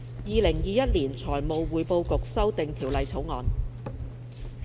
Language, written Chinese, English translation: Cantonese, 《2021年財務匯報局條例草案》。, Financial Reporting Council Amendment Bill 2021